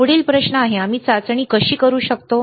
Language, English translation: Marathi, There is the next question, how we can test